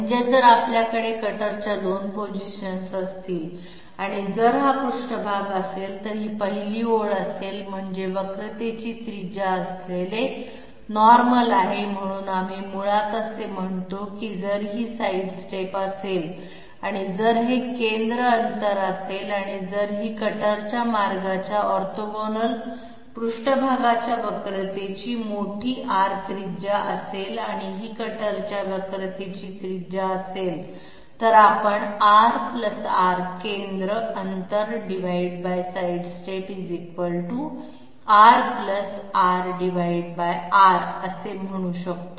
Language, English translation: Marathi, That is if we have 2 positions of the cutter here and if this be the surface, this be the first line I mean the normals containing the radius of curvatures, so we are basically saying this is if this be the sidestep and if this be the centre distance and if this be big R radius of curvature of the surface orthogonal to the cutter path and this is the radius of curvature of the cutter, we can say R + R, centre distance divided by sidestep must be equal to R + r divided by R this is what we are establishing that means we are establishing a relationship between the sidestep and the centre distance, why are we doing this, because ultimately we have to establish how much is this particular magnitude